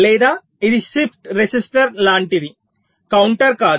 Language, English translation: Telugu, or this is like a shift resistance, not a counter